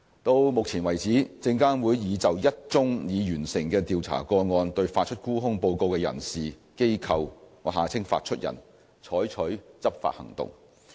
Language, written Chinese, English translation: Cantonese, 到目前為止，證監會已就一宗已完成的調查個案對發出沽空報告的人士/機構採取執法行動。, To date one completed investigation has resulted in enforcement against the issuer of a short selling report the issuer